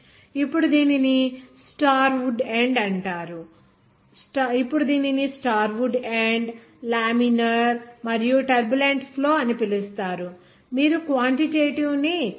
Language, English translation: Telugu, So it will call as Starwood end now this laminar and turbulent flow how will you access quantitative